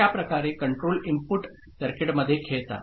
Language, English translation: Marathi, So, this is the way the control inputs play into the circuit